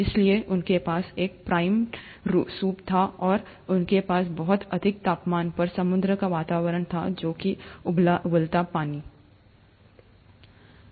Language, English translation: Hindi, So they had a primordial soup kind and they had an ocean kind of environment at a very high temperature, which is the boiling water